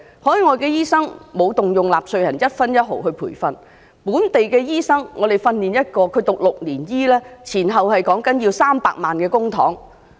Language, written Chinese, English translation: Cantonese, 海外的醫生沒有動用納稅人的一分一毫來培訓，而本地培訓一名醫生則需要6年時間，修讀醫科前後需要300萬元公帑。, No taxpayers money has been spent on the training of overseas doctors but a locally - trained doctor alone needs to study six years at a cost of 3 million in public money to finish the entire training